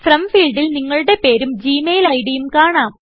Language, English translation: Malayalam, The From field, displays your name and the Gmail ID